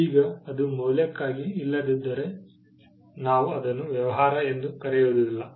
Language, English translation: Kannada, Now, if it is not for value, then we do not call it a business